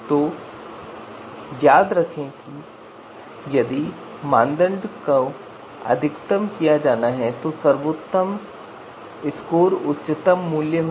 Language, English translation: Hindi, So remember if the criterion is to be maximized the best score is going to be the highest value